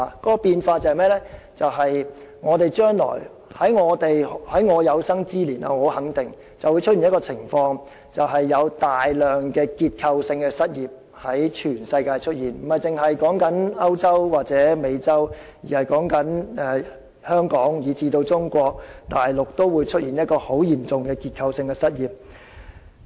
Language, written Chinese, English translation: Cantonese, 由於這個變化，我肯定在我有生之年一定會出現一種情況，那便是全球各地均會出現大量的結構性失業，不止是歐洲或美洲，香港以至中國大陸也會出現很嚴重的結構性失業問題。, As a result of such changes I am sure a situation will certainly emerge during my lifetime and that is massive structural unemployment groups can be seen all over the world . Apart from European or American countries Hong Kong and even Mainland China will also face a very serious problem of structural unemployment